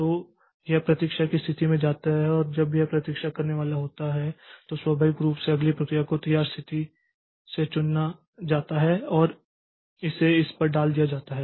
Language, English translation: Hindi, And when this is going to wait state, then naturally the next process to be selected from ready state and put onto this one